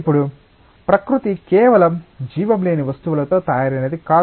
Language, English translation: Telugu, Now, nature is not just made of inanimate objects